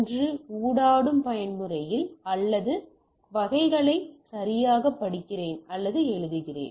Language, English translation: Tamil, Either in a interactive mode or either I read or write type of things right